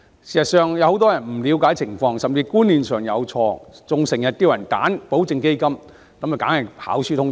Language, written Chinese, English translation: Cantonese, 事實上，有很多人不了解情況，甚至觀念上有錯，還經常建議別人選擇保證基金，結果當然是跑輸通脹。, In fact many people do not understand this or even have a wrong concept but they still often advise others to choose a guaranteed fund . It turns out to underperform inflation for sure